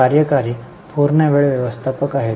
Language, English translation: Marathi, Executive are full time managers